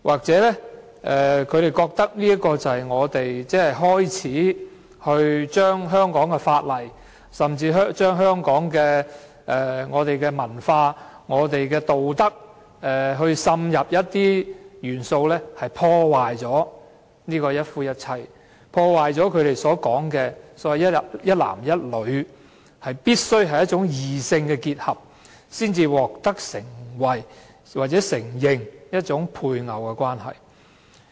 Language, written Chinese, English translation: Cantonese, 也許他們認為我們正開始在香港的法例甚至香港的文化和道德滲入一些元素，以破壞"一夫一妻"的制度及他們所謂"一男一女"、必須是異性的結合才能獲得承認的配偶關係。, Perhaps they think that we are beginning to slip some elements into the laws of Hong Kong and even Hong Kongs culture and ethics with a view to destroying the marriage institution of monogamy between one man and one woman meaning that only the union of persons of opposite sex can be recognized as a spousal relationship